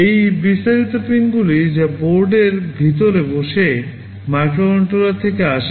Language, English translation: Bengali, These are the detailed pins that are coming from the microcontroller sitting inside the board